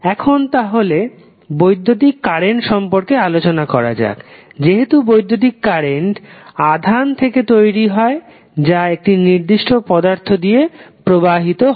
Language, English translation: Bengali, Now, let us talk about the electric current, because electric current is derived from the charge which are flowing in a particular element